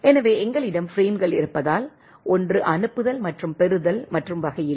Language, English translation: Tamil, So, as we have a bunch of frame, there is not 1 sending and receiving and type of thing